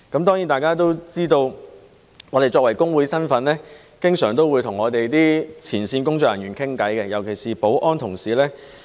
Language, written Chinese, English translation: Cantonese, 當然，大家都知道，我們作為工會人員，經常會與我們的前線工作人員交談，尤其是保安同事。, Certainly as Members all know we as trade unionists often chat with our frontline staff especially our security colleagues